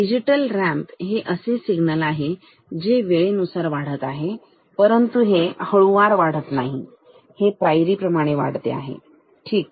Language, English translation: Marathi, Digital ramp also increases with time, but does not increase it smoothly it increases like this stepped, ok